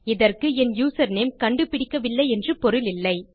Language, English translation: Tamil, This doesnt mean that my username hasnt been found